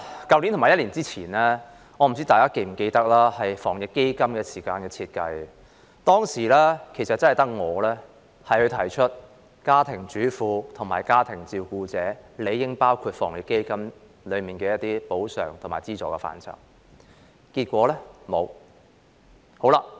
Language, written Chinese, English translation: Cantonese, 代理主席，我不知道大家是否記得，在去年防疫抗疫基金設計之時，只有我提出家庭主婦和家庭照顧者理應納入防疫抗疫基金的補償和資助範圍，但結果沒有。, Deputy President I wonder if Members remember that when designing the Anti - epidemic Fund AEF last year I was the only Member who proposed to include housewives and family carers as persons eligible for compensation and subsidies under AEF . And yet in the end they were not included